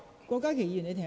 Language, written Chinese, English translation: Cantonese, 郭家麒議員，請稍停。, Dr KWOK Ka - ki please hold on